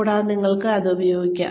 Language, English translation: Malayalam, And, you can use that